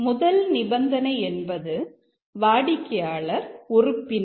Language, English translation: Tamil, The first condition is that is the customer a member